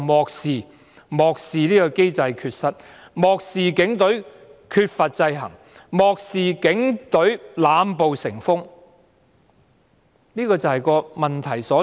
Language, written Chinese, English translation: Cantonese, 然而，漠視機制缺失的你，漠視警隊缺乏制衡的你，漠視警隊濫暴成風的你......, However it is you who ignore such shortcomings of the mechanism the lack of checks and balances on the Police Force and abuse of violence by the Police This is exactly the crux of the problem